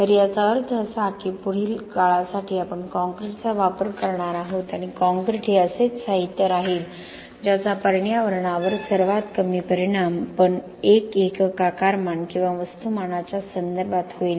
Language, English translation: Marathi, So that means that for a long time to come we are going to use concrete and concrete will continue to be the material which will have the lowest impact on the environment in terms of a unit volume or mass of the material